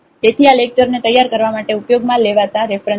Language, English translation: Gujarati, So, these are the references used for preparing the lectures